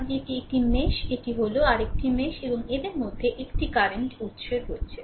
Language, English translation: Bengali, Because, one this is mesh this is, mesh and these two mesh in between one current source is there